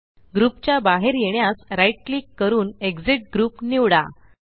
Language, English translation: Marathi, To exit the group, right click and select Exit Group